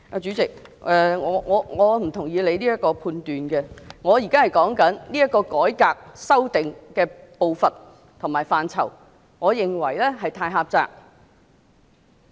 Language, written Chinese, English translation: Cantonese, 主席，我不認同你的判斷，我現在是談論這個改革的修正步伐及範疇，而我認為是過於狹窄。, President I do not agree with your judgment . I am now talking about the pace and scope of amendment in this reform which I consider to be too narrow